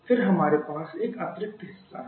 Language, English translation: Hindi, Then we have one additional part here